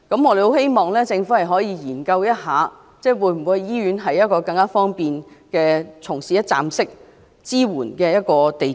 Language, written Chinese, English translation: Cantonese, 我們期望政府研究在醫院設立一個更方便的一站式支援中心。, We expect the Government to look into setting up a more accessible one - stop CSC in hospitals